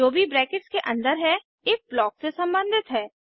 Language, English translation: Hindi, Whatever is inside the brackets belongs to the if block